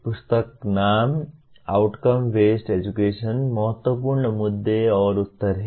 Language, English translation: Hindi, The book is Outcome Based Education Critical Issues and Answers